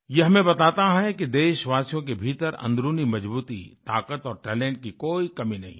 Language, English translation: Hindi, It conveys to us that there is no dearth of inner fortitude, strength & talent within our countrymen